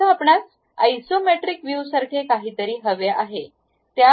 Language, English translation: Marathi, Now, you would like to have something like isometric view